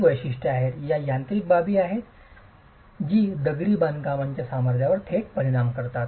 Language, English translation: Marathi, These are characteristics, these are mechanical parameters that directly impact the strength of the masonry